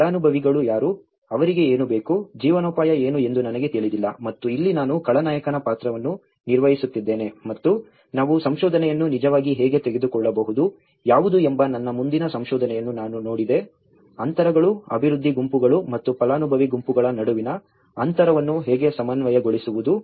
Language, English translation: Kannada, I am not knowing who are the beneficiaries, what do they need, what was the livelihood and this is where I was playing a villain role and that is where I looked at my further research of how we can actually take the research, what are the gaps, how to reconcile in between the gaps between the development groups and the beneficiary groups